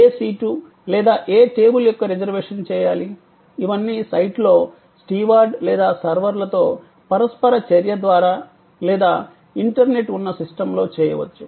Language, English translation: Telugu, The reservation which seat, which table, all those can be whether on site through the interaction with the steward or servers or on the internet with the system, these are all parts of the order take